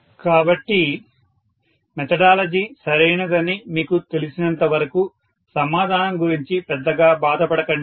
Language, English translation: Telugu, So, don’t bother too much about the answer as long as you know that the methodology is right